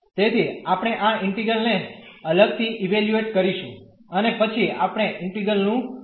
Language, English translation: Gujarati, So, we will evaluate these integral separately and then we can find the value of the integral